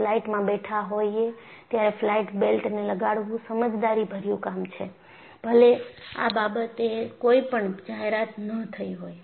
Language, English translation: Gujarati, So,it is always prudent to put your flight belts on, even when there is no announcement regarding that